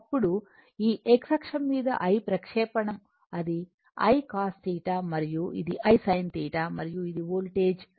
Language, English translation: Telugu, Then, your projection on this x axis it is I or a I I cos theta and this is I sin theta and this is your voltage V